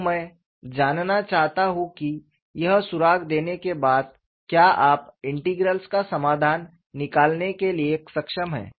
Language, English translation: Hindi, So, I would like to know having given this clue, have you been able to solve the integral